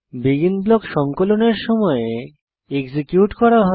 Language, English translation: Bengali, BEGIN block get executed at the time of compilation